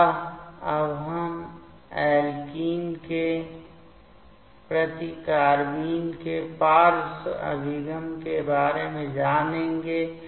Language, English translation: Hindi, So, now, we will learn the sideway approach of carbene towards alkene